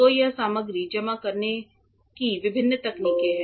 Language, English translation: Hindi, So, these are different techniques to deposit material